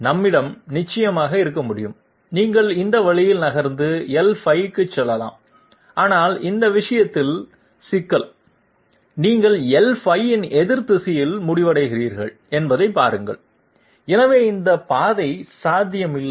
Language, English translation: Tamil, We can definitely have, you can move this way and move to L5, but see in this case the problem is you are ending up in opposite direction of L5, so this path is not possible